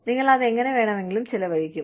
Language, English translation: Malayalam, You spend it, anyway you want